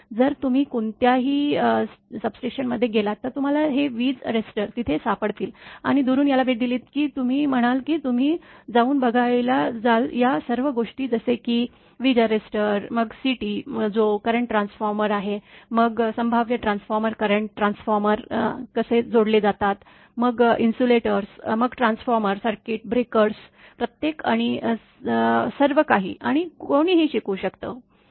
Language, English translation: Marathi, If you go to any substation you will find this lightning arresters are there, and you will say once you visit this apparently from the distance, it will go you go to go and see all these things like lightning arresters, then CT that is current transformer, then potential transformers how the current transformers are connected, then the insulators, then the transformer circuit breakers each and everything and one can learn